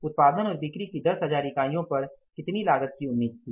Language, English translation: Hindi, At 10,000 units of production and sales how much cost was expected